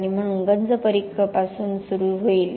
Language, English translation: Marathi, And therefore the corrosion will start from periphery